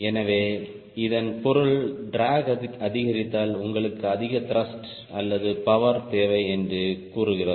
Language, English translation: Tamil, so that means if drag increases, that tells you you need more thrust or power